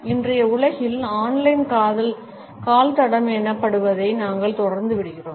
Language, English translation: Tamil, In today’s world, we continuously leave what is known as on line footprints